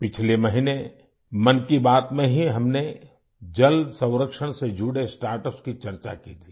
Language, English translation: Hindi, Last month in 'Mann Ki Baat', we had discussed about startups associated with water conservation